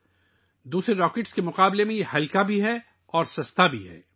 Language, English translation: Urdu, It is also lighter than other rockets, and also cheaper